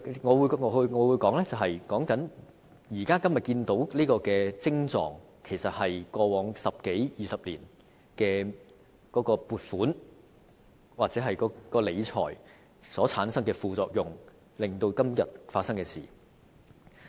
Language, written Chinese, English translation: Cantonese, 我們現時看到的徵狀，其實是過往十多二十年的撥款或理財模式所產生的副作用，導致今天出現這種情況。, The symptoms that we see now are in fact the side effects of the mode of funding or financial management over the last decade or two which has given rise to the current situation